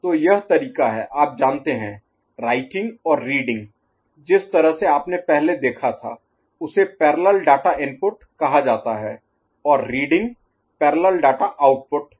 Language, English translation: Hindi, So, that is the way of you know, writing and reading the way you have seen it before is called parallel data input and reading is parallel data output